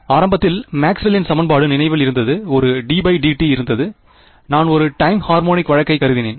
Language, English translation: Tamil, In the very beginning, there was a remember Maxwell’s equation; there was a d by d t and I assumed a time harmonic case